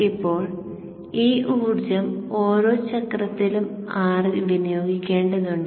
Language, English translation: Malayalam, Now this energy has to be dissipated within R every cycle